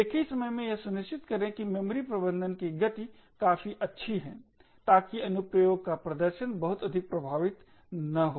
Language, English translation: Hindi, At the same time ensure that the speed of memory management is good enough so that the performance of the application is not affected too much